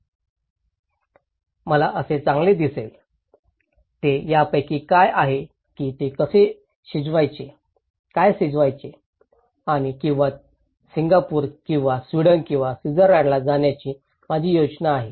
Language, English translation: Marathi, How I would look good, is it about that one or is it about how to cook, what to cook and or my travel plan to Singapore or to Sweden or Switzerland